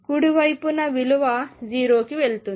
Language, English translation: Telugu, The right hand side is going to go to 0